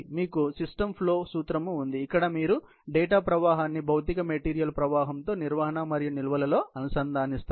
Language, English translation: Telugu, You have systems flow principle, where you integrate data flow with physical material flow in handling and storage